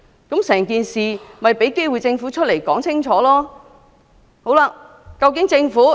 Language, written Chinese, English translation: Cantonese, 這項議案旨在給予政府機會清楚交代整件事。, This motion seeks to give the Government an opportunity to give a clear account of the whole incident